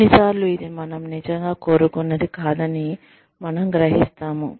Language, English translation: Telugu, Sometimes, we realize that, maybe, this is not, what we really wanted